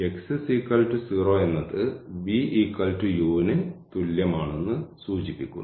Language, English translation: Malayalam, x is equal to 0 implies v is equal to u